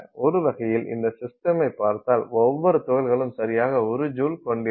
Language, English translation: Tamil, So, you can think of it as a system where every particle has exactly 1 joule